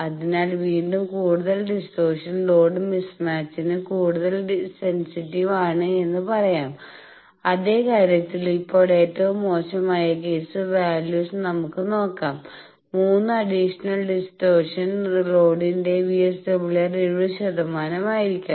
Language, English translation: Malayalam, So, again additional distortion is more sensitive to load mismatch, the same thing now see the worst case values that for load VSWR of 3 additional distortions, may be 70 percent